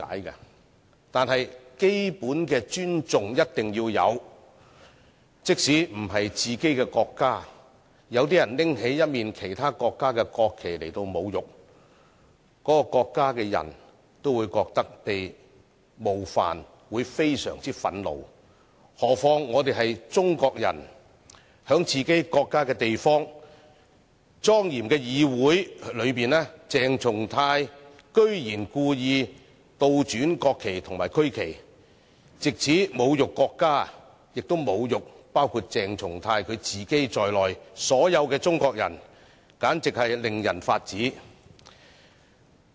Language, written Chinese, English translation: Cantonese, 然而，基本的尊重一定要有，即使不是自己的國家，有些人侮辱其他國家的國旗，那個國家的人都會覺得被冒犯及非常憤怒，何況我們是中國人，在自己國家的地方、莊嚴的議會裏，鄭松泰議員居然故意倒轉國旗及區旗，藉此侮辱國家，亦侮辱包括鄭松泰議員自己在內的所有中國人，簡直是令人髮指。, Having said that we must have basic respect for the country . Even if it is not our own national flag and when the national flags of other countries are desecrated their people will likewise feel offended and indignant . This is all the more so when we being Chinese ourselves saw that in a place of our own country and in this solemn Council Dr CHENG Chung - tai had gone so far as to deliberately invert the national flags and regional flags to insult the country and to insult all Chinese people including Dr CHENG Chung - tai himself